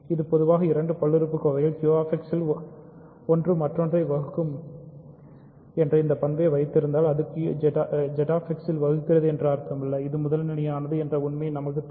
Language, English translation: Tamil, See this is in general not true that if a two integer polynomials have this property that one divides the other in Q X, it does not mean that it divides it in Z X; we need the fact that it is primitive